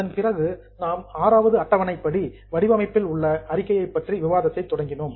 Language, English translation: Tamil, After this we had started discussion on format as per Schedule 6